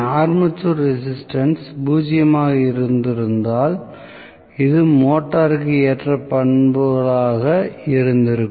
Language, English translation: Tamil, If I had had the armature resistance to be zero, so this would have been the ideal characteristics for the motor